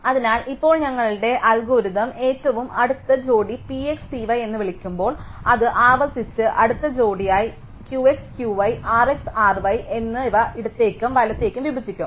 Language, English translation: Malayalam, So, now when we call our algorithm with closest pair P x, P y it will split recursively into closest pair Q x, Q y and R x, R y to the left and right half